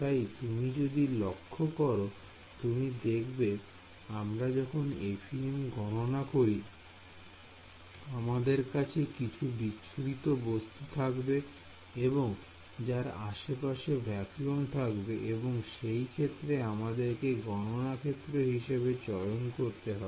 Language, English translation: Bengali, So, if you notice that I mean when we do FEM calculations we will have the scattering object and surrounded by some amount of vacuum and then terminate the computational domain